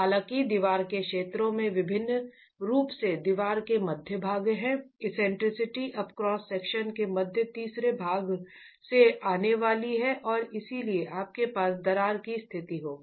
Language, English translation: Hindi, However, in regions of the wall, particularly the middle portions of the wall, the eccentricity is now going to be beyond the middle third of the cross section and so you will have cracked conditions